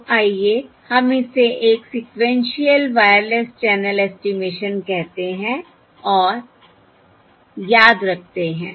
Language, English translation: Hindi, So let us call this a sequential Wireless, sequential Wireless Channel estimation